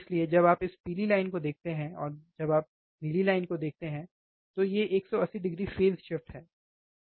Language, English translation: Hindi, So, when you see this yellow line, and when you see the blue line, these are 180 degree out of phase, 180 degree out of phase right so, this is ok